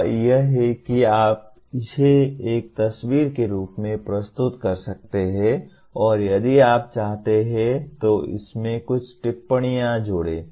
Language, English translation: Hindi, That is you can present it in the form of a picture and if you want add a few comments to that